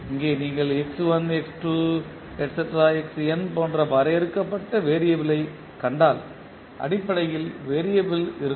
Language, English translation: Tamil, Here if you see the variable which you have defined like x1, x2, xn are the basically the variable